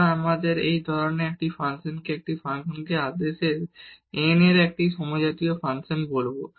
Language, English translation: Bengali, So, we will call this such a function a function a homogeneous function of order n